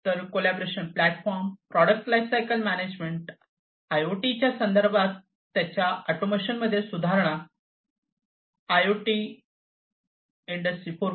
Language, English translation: Marathi, So, collaboration platform product lifecycle management, their automation improvement in the context of IoT, IIoT, Industry 4